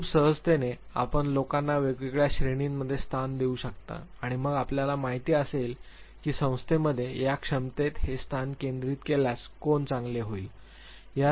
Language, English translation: Marathi, Very easily you can slot people into different categories and then you know who would be better if centered this very position in this capacity in the organization